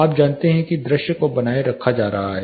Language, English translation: Hindi, You know views are being maintained